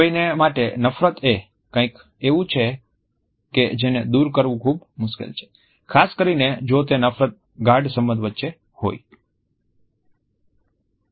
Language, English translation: Gujarati, Hate towards someone is something that is very hard to overcome, especially if it is between an intimate relationship